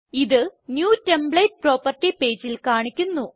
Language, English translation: Malayalam, It will be displayed on the New template property page